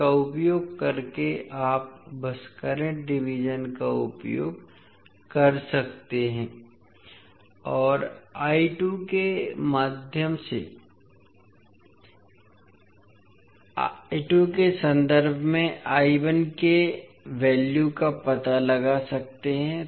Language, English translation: Hindi, So using this you can simply use the current division and find out the value of I 1 in terms of I 2